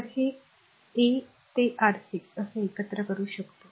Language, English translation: Marathi, So, how can we combine this R 1 through R 6 right